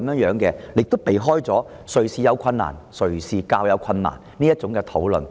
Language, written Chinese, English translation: Cantonese, 此舉可避免"誰有困難"、"誰有較大困難"的爭議。, This can avoid the argument of who is in difficulty or who is in greater difficulty